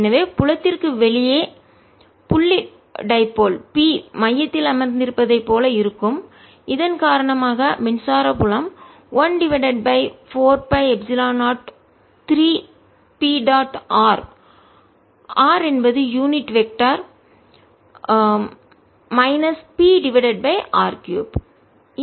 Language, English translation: Tamil, so outside the field is going to be as if there is the point dipole p sitting at the centre and electric field due to this, i know, is one over four pi epsilon zero, three p dot r r unit vector minus p divided by r cubed